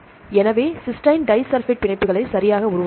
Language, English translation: Tamil, So, Cysteine will form the disulphide bonds right